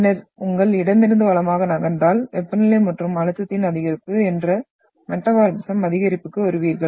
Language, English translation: Tamil, And then if you move from your left towards the right, you are getting into the high increase in the metamorphism that is increase in temperature and pressure